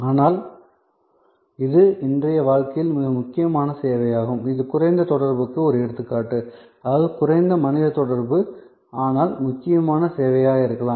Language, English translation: Tamil, And, but it is a very important service in the life of today and that is an example of low contact; that means, low human contact, but could be important service